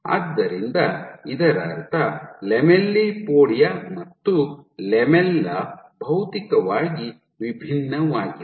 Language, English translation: Kannada, So, which means when you say lamellipodia and lamella are materially distinct